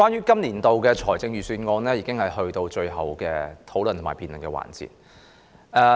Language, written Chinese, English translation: Cantonese, 今年的財政預算案已經到了最後的討論和辯論環節。, The Budget for this year has come to its final stage of discussion and debate